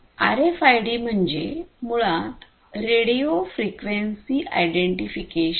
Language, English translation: Marathi, So, RFID stands basically for radio frequency identification